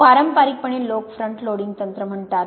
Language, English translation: Marathi, Traditionally people used what is called a front loading technique